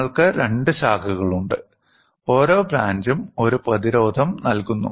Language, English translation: Malayalam, You have two branches; each branch is providing a resistance R